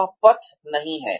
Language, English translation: Hindi, That is not the way